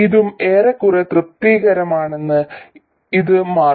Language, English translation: Malayalam, It turns out this is also more or less satisfied